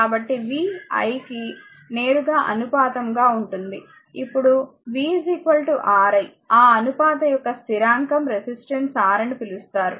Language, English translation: Telugu, So, v is proportional to i, now v is equal to Ri that constant of proportional take to R that is called resistance